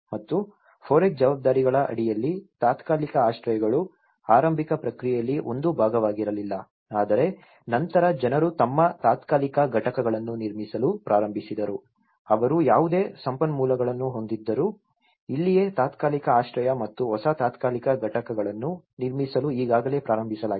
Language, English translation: Kannada, And under the FOREC responsibilities, temporary shelters was not been a part in the initial process but then, people have started building their temporary units whatever the resources they had so, this is where the temporary shelters and building new temporary units have already started, in whatever the lands they are not available